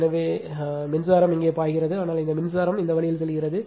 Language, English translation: Tamil, So and current this is I a flowing this, but this current is going this way